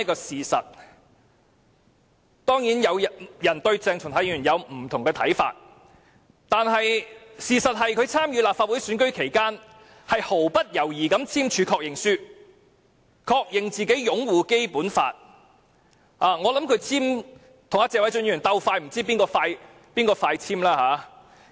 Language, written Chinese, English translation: Cantonese, 誠然，有人對鄭松泰議員或有不同看法，但我想點出一個事實，就是在參選立法會選舉期間，他毫不猶豫地簽署確認書，確認自己擁護《基本法》——如與謝偉俊議員相比，也不知究竟誰更早簽署確認書。, Honestly some people may think differently about Dr CHENG Chung - tai . However I would like to point out the fact that when he stood for the election of the Legislative Council he had signed the confirmation form without any doubt to confirm he would uphold the Basic Law . And I wonder if it was Mr Paul TSE or Dr CHENG who had signed the confirmation earlier